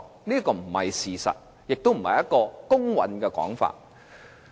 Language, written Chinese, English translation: Cantonese, 這並非事實，亦並非公允的說法。, This is not the truth nor is this a fair description